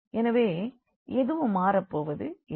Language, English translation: Tamil, So, nothing will change